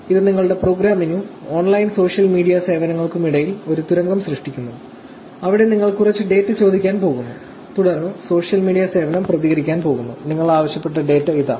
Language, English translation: Malayalam, It just creates a tunnel between your program and the online social media services, where you are going to ask some data and then, the social media service is going to respond with saying, here is the data that you asked for, right